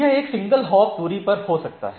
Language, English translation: Hindi, So, it may be on a single hop distance